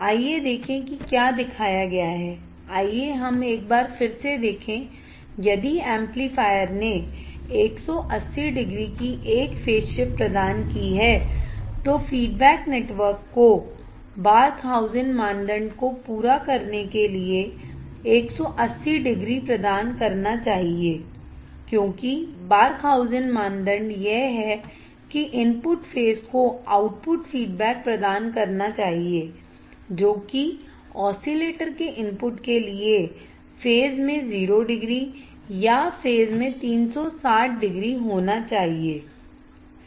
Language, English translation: Hindi, Let us see what is shown let us see once again, if the amplifier used causes a phase shift of 180 degrees the feedback network should provide 180 degrees to satisfy the Barkhausen criteria right because Barkhausen criteria is that the input phase should be the output feedback provided back to the input of the oscillator should be 0 degree in phase or 360 degree in phase, right